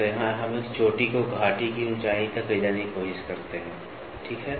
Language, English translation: Hindi, So, here we try to take peak to valley height, ok